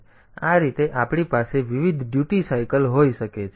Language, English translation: Gujarati, So, this way we can have different duty cycle